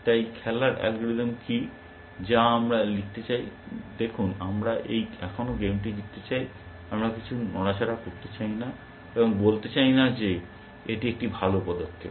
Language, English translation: Bengali, So, what is the game playing algorithm, we want to write, see we want to still win the game; we do not want to make some move and say it is a good move essentially